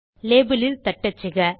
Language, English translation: Tamil, You can type into the label